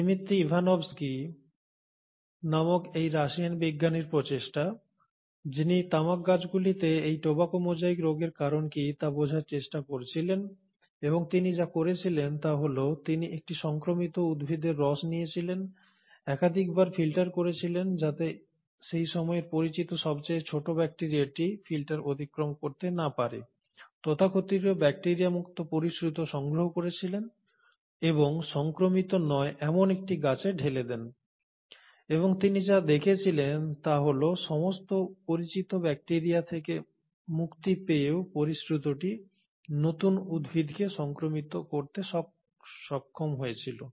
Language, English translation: Bengali, Now it was the effort of this Russian scientist called Dmitri Ivanovsky, who was trying to understand what causes this tobacco mosaic disease in tobacco plants and what he did was that he took the sap of an infected plant, passed it through multiple filters, such that the smallest of the known bacteria at that point of time will not go pass through the filter, collected the so called bacteria free filtrate and put it on an uninfected plant and what he found is that despite getting rid of all the known bacterial forms, the filtrate was still able to infect the new plant